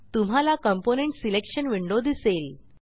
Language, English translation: Marathi, The component selection window will open up